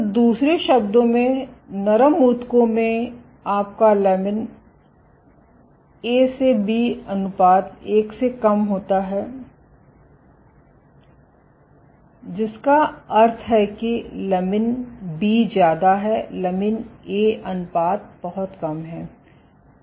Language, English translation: Hindi, So, in other words in soft tissues your lamin A to B ratio is less than one which means lamin B is higher lamin A ratio is very low ok